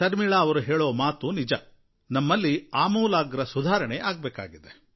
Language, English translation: Kannada, Sharmila ji has rightly said that we do need to bring reforms for quality education